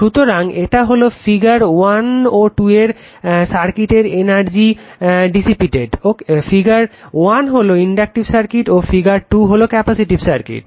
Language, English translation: Bengali, So, it is your energy dissipated per cycle in the circuit of figure 1 and figure 2 figure 1 is inductive circuit and figure 2 is a capacitive circuit right